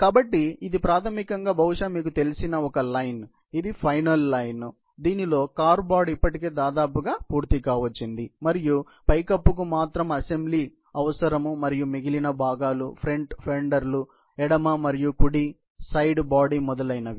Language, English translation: Telugu, So, this is basically, probably, a line which is you know, it is a final line in which, the car body is already more or less assembled and roof needs assembly and the remaining parts, like the front fenders, left and right, the main floor, the side body, etc